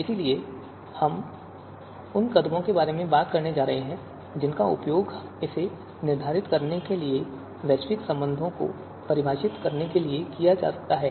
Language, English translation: Hindi, So we are going to you know talk about the steps which can be used to determine this, to define global relations